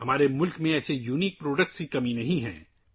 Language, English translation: Urdu, There is no dearth of such unique products in our country